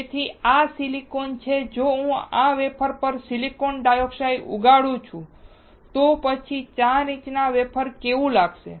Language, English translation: Gujarati, So, this is silicon if I grow silicon dioxide on this wafer, then how this 4 inch wafer will look like